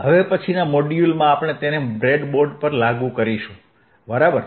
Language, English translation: Gujarati, And now in the next module, we will implement it on the breadboard, alright